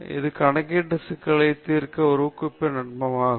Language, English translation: Tamil, It is a probabilistic technique to solve computational problems